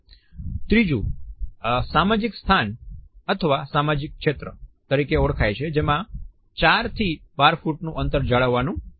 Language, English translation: Gujarati, The third is the social space or the social zone, which is somewhere from 4 to 12 feet